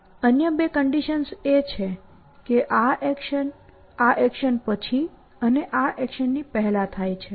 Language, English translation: Gujarati, The other two conditions are that this action happens after this action and before this action